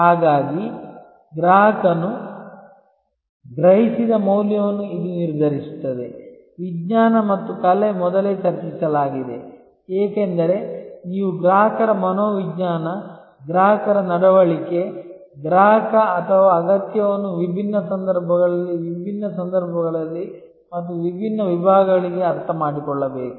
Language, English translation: Kannada, And so this is determining the value as perceive by the customer is science as well as art that has been discussed earlier, because you have to understand customer psychology, customers behavior, consumer or requirement under different circumstances, under in different situations and for different segments